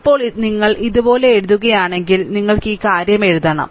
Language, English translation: Malayalam, Now, if you write like this, that then you have to write this thing